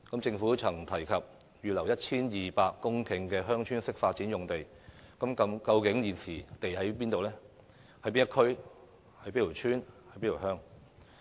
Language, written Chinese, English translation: Cantonese, 政府曾提過會預留 1,200 公頃的"鄉村式發展"用地，究竟土地在哪一區、哪一村、哪一鄉？, The Government has mentioned about earmarking 1 200 hectares of land for Village Type Development but has not specified which district or village such sites are located?